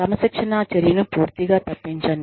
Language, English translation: Telugu, Avoid disciplinary action, entirely